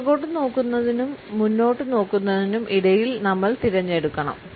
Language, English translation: Malayalam, We have to choose between looking backwards and looking forwards